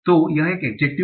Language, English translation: Hindi, So it is an adjective